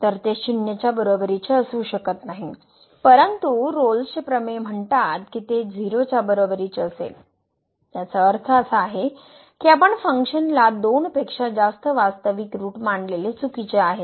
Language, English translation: Marathi, So, it cannot be equal to 0, but the Rolle’s Theorem says that it will be equal to 0; that means, we have a assumption which was that the function has more than two real roots is wrong